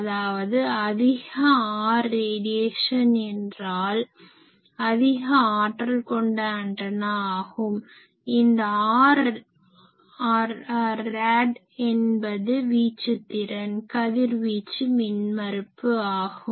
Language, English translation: Tamil, So, more R rad means more efficient antenna so, this R rad is called radiation resistance